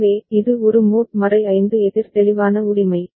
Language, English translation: Tamil, So, it is a mod 5 counter clear right